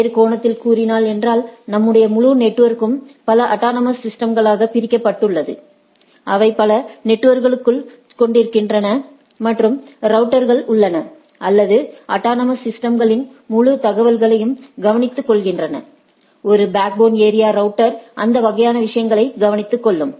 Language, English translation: Tamil, In other sense our whole network is divided into several autonomous systems, which consist of several networks and there are routers or which takes care of the whole information of the autonomous system that, we have seen that there are there is a backbone area router or this backbone router which takes care of those type of things